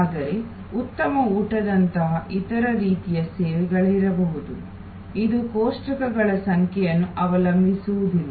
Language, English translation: Kannada, But, there can be other types of service like fine dining, it is not only depended on the number of tables